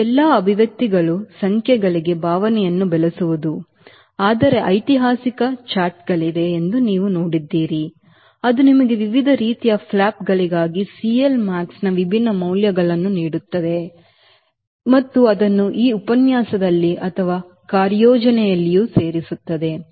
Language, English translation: Kannada, all this expressions are to develop, feel for the numbers, but you will see that, ah, there are historical charts which will give you different values of c l max for different types of flaps, and we will add that also in this lecture or in the in the assignments